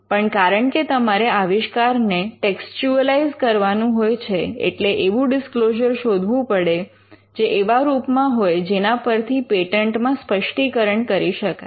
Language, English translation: Gujarati, But because you are looking to textualize the invention, you would want the disclosure to be given in a form in which you can prepare the patent specification